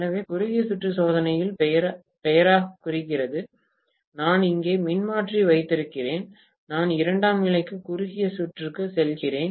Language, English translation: Tamil, So, in the short circuit test, as the name indicates, I am having the transformer here and I am going to short circuit the secondary